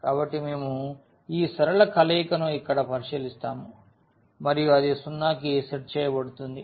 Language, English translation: Telugu, So, we will consider this linear combination here and that will be set to 0